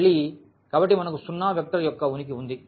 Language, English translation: Telugu, Again, so, we have this existence of the 0 vector